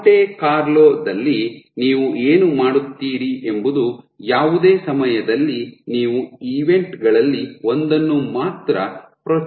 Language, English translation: Kannada, So, in Monte Carlo what you do is at any time step you only fire or the only trigger one of the events